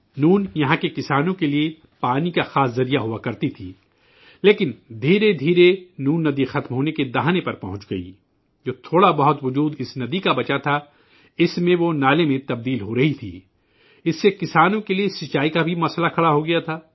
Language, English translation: Urdu, Noon, used to be the main source of water for the farmers here, but gradually the Noon river reached the verge of extinction, the little existence that was left of this river, in that it was turning into a drain